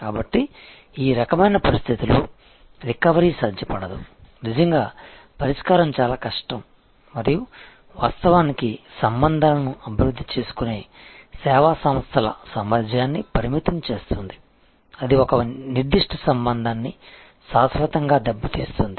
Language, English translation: Telugu, So, in this kind of situation, where there is recovery is not possible, really the redressal is very difficult and that actually will limit the service organizations ability to develop the relationship; that it may permanently damage a particular relationship